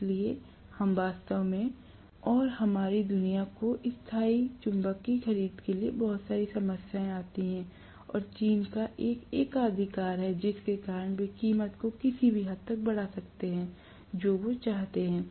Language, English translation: Hindi, So, we are really, really, and our world is having a lot of problems with purchase of permanent magnet and a monopoly is from China because of which they can raise the price to any extent they want